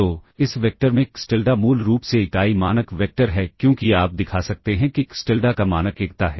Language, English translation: Hindi, So, in this vector xTilda is basically unit norm vector because one you can show that the norm of xTilda is unity